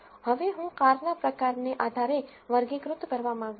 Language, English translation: Gujarati, Now I am want to classified based on the car type